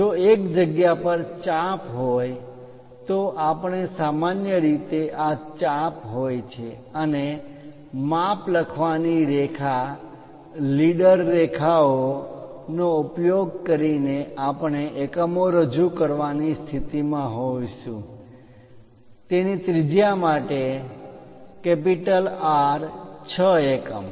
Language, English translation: Gujarati, If those are arcs at single positions, we usually this is the arc and using dimension line, leader line we will be in a position to represent the units; R for radius 6 units of that